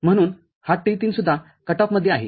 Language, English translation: Marathi, So, T3 is also in cut off, ok